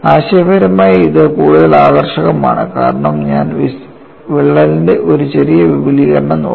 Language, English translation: Malayalam, Conceptually this is more appealing, because I am really looking at a small extension of the crack